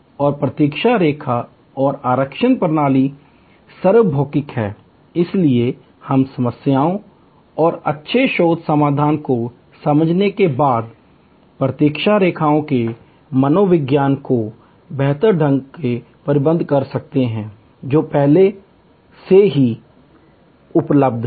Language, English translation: Hindi, And waiting line and reservations system are universal, but we can manage the psychology of the waiting lines better once we understand the problems and good research solution, that are already available